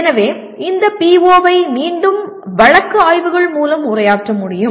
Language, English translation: Tamil, So this PO can be addressed through once again case studies